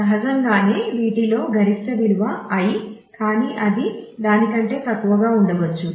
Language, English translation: Telugu, Naturally the maximum value of any of these i is the i here, but it could be less than that